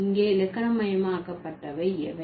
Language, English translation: Tamil, So, what is being grammaticalized here